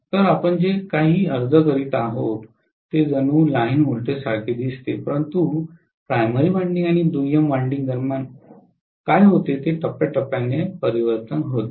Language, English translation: Marathi, So, what you are applying looks as though it is line to line voltage, but what happens between the primary winding and secondary winding is phase to phase transformation